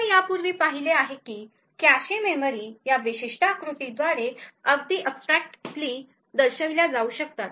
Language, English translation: Marathi, As we have seen before the cache memories could be very abstractly represented by this particular figure